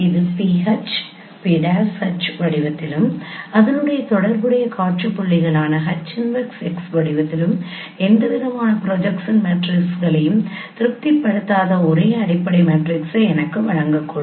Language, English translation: Tamil, It could give me a fundamental matrix satisfying no a set of projection matrices in the form of pH, p prime H and corresponding scene points as H inverse x